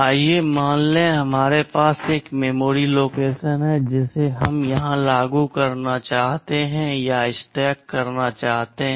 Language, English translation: Hindi, Let us assume that we have a memory location we want to implement or stack here